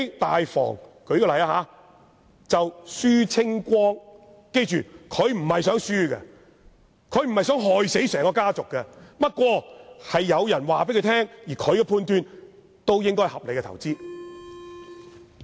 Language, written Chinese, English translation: Cantonese, 大房的人也不是想虧蝕的，他不想害死整個家族，不過有人告訴他，而他的判斷亦認為這應該是合理的投資。, He does not intend to do harm to the entire family . But someone told him that this was a reasonable investment and he made the same judgment